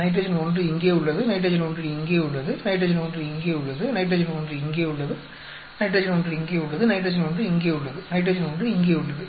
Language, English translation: Tamil, Nitrogen 1 is here, nitrogen 1 is here, nitrogen 1 is here, nitrogen 1 is here, nitrogen 1 is here, nitrogen 1 is here, nitrogen 1 is here